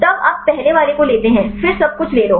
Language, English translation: Hindi, Then you take the first one; then take everything